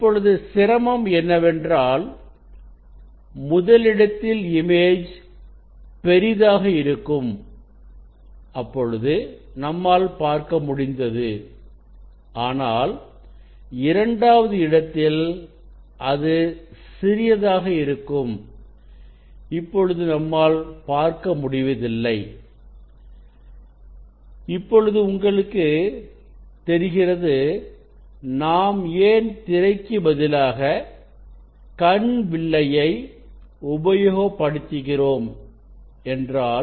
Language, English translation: Tamil, Now, difficulties is that this when image was bigger for first position, we are able to see on the screen, but for the second position it is small it is difficult to see But, we can see that is why we use the eye piece this instead of the screen we use the eye piece